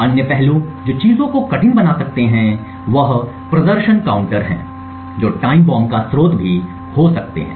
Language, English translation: Hindi, Other aspects which may make things difficult is the performance counters which may also be a source of time bombs